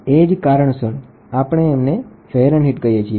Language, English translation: Gujarati, That is why we still call it as Fahrenheit